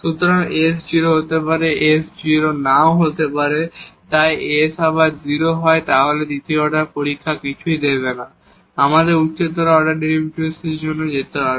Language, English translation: Bengali, So, s maybe 0, s may not be 0, so if s is 0 again the second order test will not give anything and we have to go for the higher order derivatives